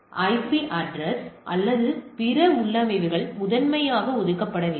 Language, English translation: Tamil, So, the IP address or the other configurations are not primarily allocated